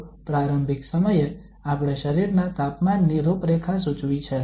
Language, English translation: Gujarati, So at initial time we have prescribed the profile of the temperature in the body